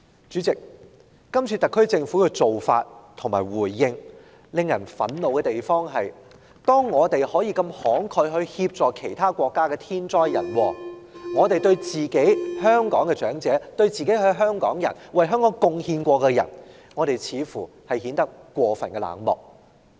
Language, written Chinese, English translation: Cantonese, 主席，今次特區政府的做法和回應令人憤怒之處是，當我們如此慷慨地協助其他受天災人禍影響的國家時，政府對香港的長者、一些曾為香港作出貢獻的人似乎顯得過分冷漠。, President the current approach and response of the SAR Government have infuriated us because while we assist other countries affected by natural or man - made disasters with the utmost generosity the Government appears to be way too indifferent to our elderly who have made contribution to Hong Kong